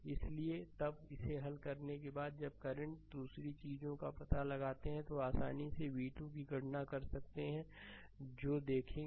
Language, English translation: Hindi, So, then after solving this you when you find out the current another thing then you can easily compute v 2 that will see